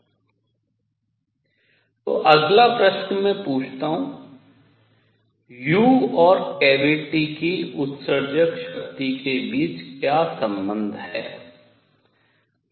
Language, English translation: Hindi, So next question I ask is; what is the relationship between u and the immersive power of the cavity